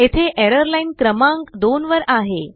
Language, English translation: Marathi, Here the error is in line number 2